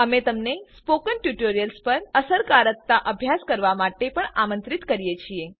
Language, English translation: Gujarati, We also invite you to conduct efficacy studies on Spoken tutorials